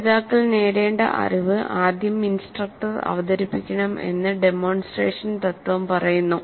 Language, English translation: Malayalam, Demonstration principle says that instructor must first demonstrate the knowledge that the learners are supposed to acquire